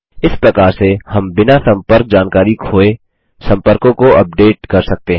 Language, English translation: Hindi, This way we can update the contacts without losing contact information